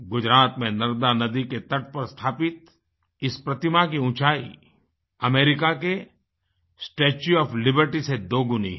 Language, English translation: Hindi, Erected on the banks of river Narmada in Gujarat, the structure is twice the height of the Statue of Liberty